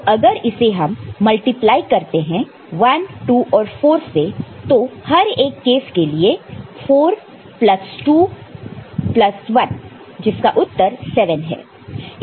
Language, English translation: Hindi, So, if it is multiplied with 1, 2 and 4 here each of these cases, so 4 plus 2 plus 1 is your 7